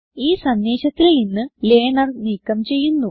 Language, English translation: Malayalam, Im removing the Learner from the message